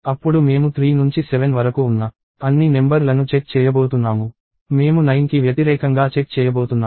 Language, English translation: Telugu, Then I am going to check against all the numbers from 3 to 7; I am going to check against 9